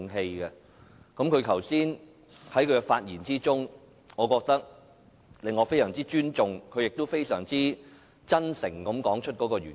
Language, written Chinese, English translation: Cantonese, 朱議員剛才的發言令我非常尊重他，而他亦非常真誠地說出原因。, I have great respect for Mr CHU after listening to his earlier speech in which he honestly stated his reasons for moving the motion